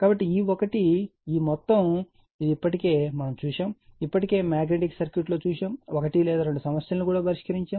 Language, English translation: Telugu, So, you know E 1 is equal to this much, right this one already we have seen, already we have seen in magnetic circuit also we have solve one or two numerical